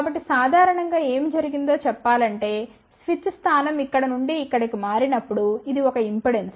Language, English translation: Telugu, So, generally speaking what is done that when the switch position changes from let's say this thing to this here this is an inductance